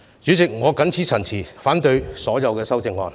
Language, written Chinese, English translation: Cantonese, 主席，我謹此陳辭，反對所有修正案。, With these remarks Chairman I oppose all the amendments